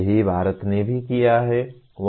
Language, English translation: Hindi, That is what India has also done